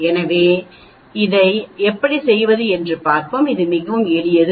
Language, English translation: Tamil, So we will see how to do this, it is quite simple